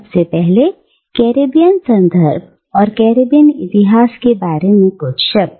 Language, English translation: Hindi, But first, a few words about this Caribbean context, and Caribbean history